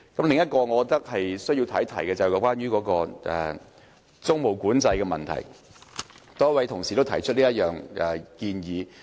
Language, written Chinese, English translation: Cantonese, 另一點我認為需要談及的是租務管制，多位同事都提出這項建議。, Another point which I must address is the proposal of implementing tenancy control . Many Members have mentioned this proposal